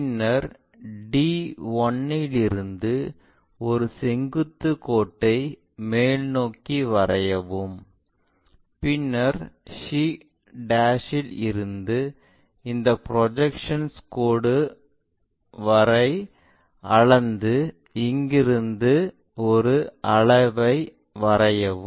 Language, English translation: Tamil, Then from d 1 draw a vertical line all the way up to project it, which is point 6; and from there draw an arc by measuring c' to this projected line LFV, draw an arc, it can be extended all the way there